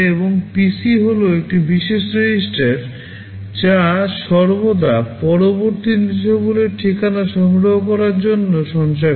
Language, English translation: Bengali, And PC is a special register which always stores the address of the next instruction to be fetched